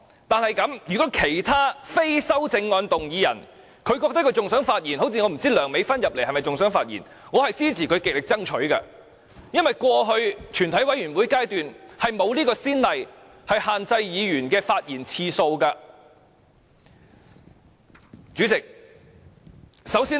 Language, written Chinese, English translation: Cantonese, 但是，如果其他非修正案動議人還想發言，例如梁美芬議員還想發言，我支持她極力爭取，因為過去在全體委員會審議階段並無限制議員發言次數的先例。, However if any Member other than the movers of amendments such as Dr Priscilla LEUNG still wish to speak I support him to fight for that right as there is no precedent of setting a speaking time limit at the Committee stage . Chairman at the final stage of this debate session I must first make a fair comment on the Government